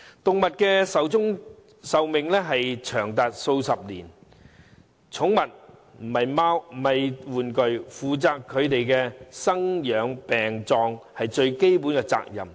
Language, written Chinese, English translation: Cantonese, 動物壽命長達數十年，寵物不是玩具，負責牠們的生、養、病和葬是飼養者最基本的責任。, Animals can live for decades and pets are not toys . The basic responsibilities of a keeper is to provide his pet with food and care treat it when it is sick and bury it when it died